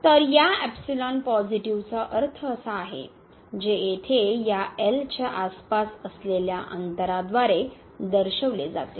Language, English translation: Marathi, So, this epsilon positive that means, which is denoted by this distance here around this